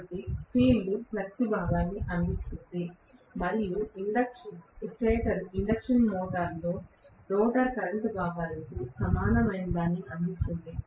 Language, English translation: Telugu, So, the field is providing the flux component and the stator is providing something similar to the rotor current components in an induction motor